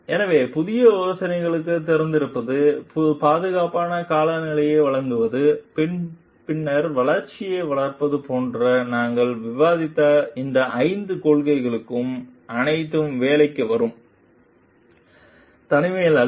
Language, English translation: Tamil, So, all these five principles that we have discussed like being open to new ideas, providing a safe climate then nurturing growth, all this will come work not in isolation